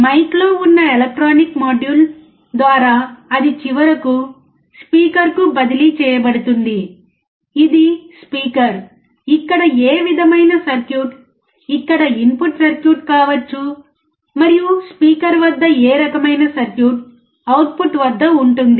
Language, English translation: Telugu, Through mike there is a electronic module, and it transferred to the speaker that finally, is a speaker which kind of circuit can be the input circuit here, and which kind of circuit can be output at the speaker